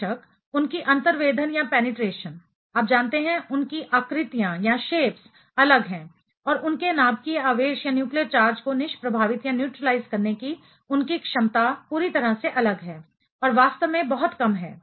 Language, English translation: Hindi, Of course, their penetration, you know their shapes are different and their ability to neutralize their nuclear charge is completely different and actually very less